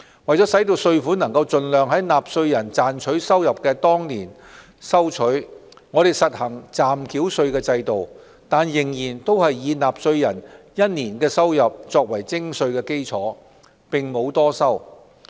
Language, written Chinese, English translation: Cantonese, 為盡量在納稅人賺取收入的當年收取稅款，我們實行暫繳稅制度，但仍是以納稅人1年的收入作為徵稅基礎，並沒有多收。, To ensure that tax is collected in the year the income is earned as far as possible we implement the provisional tax regime . That said the provisional tax is imposed on the taxpayers earned income of no more than one year